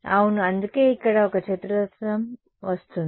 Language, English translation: Telugu, Yeah, that is why at this A square comes in